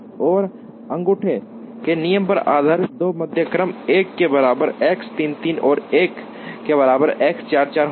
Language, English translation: Hindi, So, the two medians based on a thumb rule will be X 3 3 equal to 1 and X 4 4 equal to 1